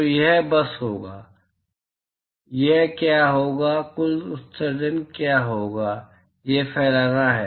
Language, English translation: Hindi, So, it will simply be, what will it be what would be the total emission, it is diffuse